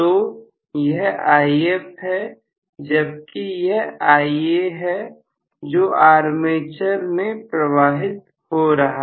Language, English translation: Hindi, So, this If, whereas this is going to be Ia, which is flowing from my armature supply